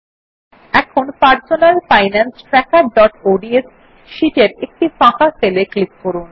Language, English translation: Bengali, Now in our personal finance tracker.ods sheet, let us click on a empty cell